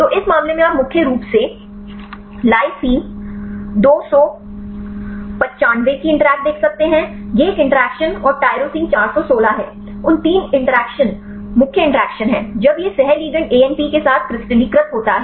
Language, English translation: Hindi, So, in this case you can see the interactions mainly the lysine 295 this is a interactions and tyrosine 416; those three interactions are main interactions when this co crystallize with the ligand ANP